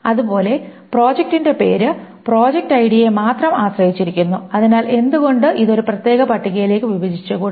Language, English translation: Malayalam, Similarly, project name depends only a project ID, so why not break it up into a separate table